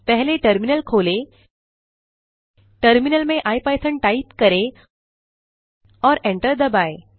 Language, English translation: Hindi, First open the terminal, type ipython in the terminal and hit enter